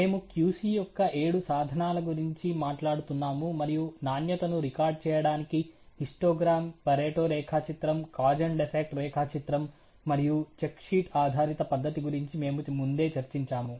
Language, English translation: Telugu, We were talking about the seven tools of QC, and we had already discussed earlier the histogram, the pareto diagram, the cause and effect diagram, and the check sheet based methodology of recoding quality